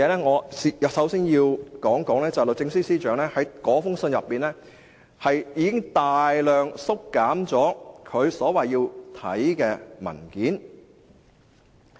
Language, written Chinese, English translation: Cantonese, 我首先要說，律政司司長在信中已經大量縮減他要看的文件。, The first thing I wish to point out is that in his reply the Secretary for Justice has substantially lowered the number of documents he requests to see